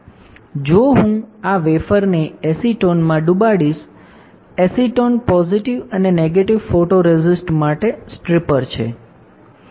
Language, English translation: Gujarati, If I dip this wafer in acetone; acetone is a stripper for positive and negative photoresist